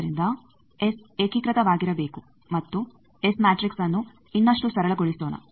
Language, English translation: Kannada, So, S should be unitary and let us further simplify the S matrix